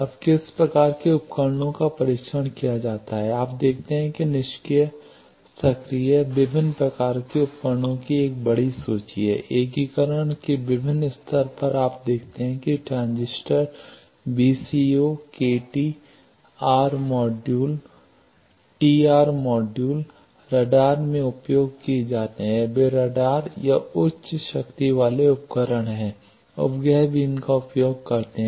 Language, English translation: Hindi, Now, what type of devices are tested, you see there is lot of a large list passive active various types of devices, various levels of integration you see transistors VCO's deceivers T r modules, T r modules are used in radars then those are also radar or high power devices satellites also use them at attenuators adapters dielectrics many things are tested